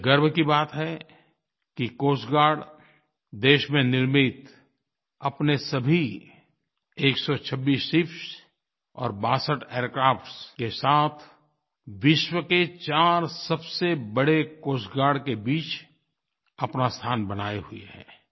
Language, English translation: Hindi, It is a matter of pride and honour that with its indigenously built 126 ships and 62 aircrafts, it has carved a coveted place for itself amongst the 4 biggest Coast Guards of the world